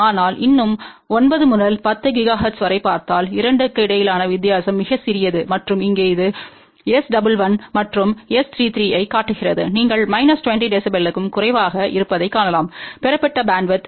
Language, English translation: Tamil, But still if you see right from 9 to 10 gigahertz, the difference between the 2 is very very small ok and this one here shows S 1 1 and S 3 3 you can see that for less than minus 20 dB bandwidth obtained is from 8